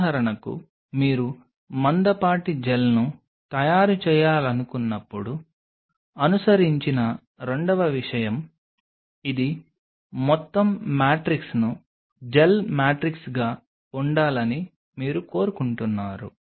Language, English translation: Telugu, Second thing followed when you wanted to make a thick gel say for example, you want it the whole matrix to be a gel matrix